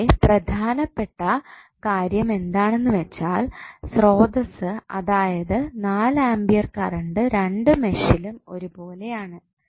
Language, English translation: Malayalam, Now, here the important thing is that the source which is 4 ampere current is common to both of the meshes